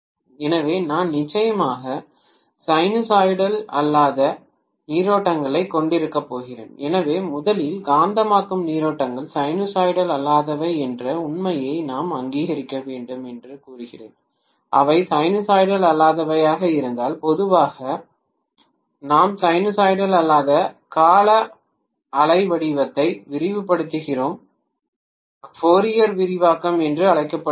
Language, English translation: Tamil, So I am going to have definitely non sinusoidal currents, so I would say that first of all we should recognize the fact that magnetizing currents are non sinusoidal, if they are non sinusoidal generally we actually expand any non sinusoidal periodic waveform by something called Fourier expansion, right